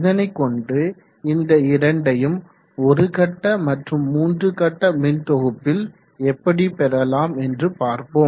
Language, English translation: Tamil, So we will see how we will go about achieving this both in single phase and three phase grids